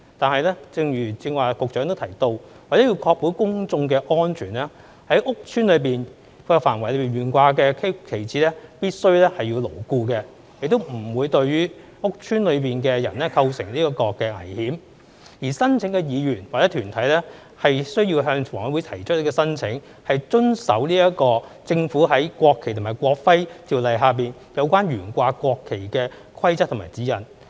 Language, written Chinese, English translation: Cantonese, 但是，正如剛才局長亦提到，為確保公眾的安全，在公共屋邨範圍內懸掛的旗幟必須牢固，亦不會對於屋邨內的人構成危險；而申請的議員或團體需要向房委會提出申請，遵守政府在《國旗及國徽條例》下有關懸掛國旗的規則和指引。, However as the Secretary mentioned earlier in order to ensure public safety the flag displayed within the public housing estate must be firmly fastened and should not pose any danger to people in the estate . And the council member or organization must submit an application to HKHA and comply with the Governments rules and guidelines on the display of the national flag under the Ordinance